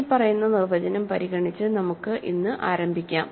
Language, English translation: Malayalam, So, let us begin today by considering the following definition